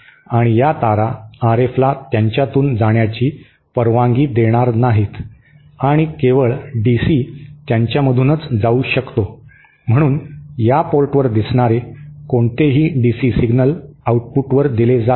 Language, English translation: Marathi, And since these wires will not allow RF to pass through them, and only DC to pass through them, so any DC signal appearing at this port will be passed onto the output